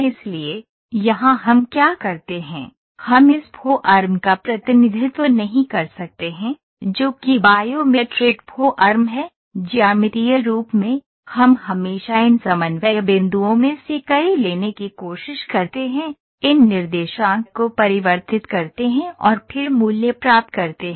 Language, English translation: Hindi, So, here what we do is we cannot represent this form which is a bio mimicking form, in a geometric form, we always try to take several of these coordinate points, convert these coordinates and then get the value